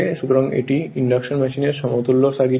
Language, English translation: Bengali, So, this is the equivalent circuit of the induction machine right